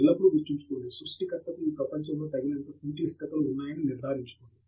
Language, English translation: Telugu, Always remember, the creator has enough made sure that there are enough complexities in this world